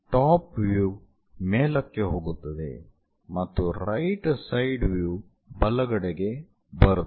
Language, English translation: Kannada, top view goes to top level and right side view comes to right hand side